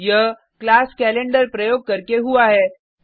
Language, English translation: Hindi, This is done using the class Calendar